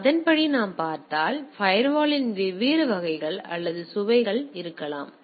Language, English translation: Tamil, So, accordingly if we look at that there can be different variety or flavours of firewall